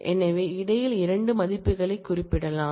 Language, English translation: Tamil, So, between can specify 2 values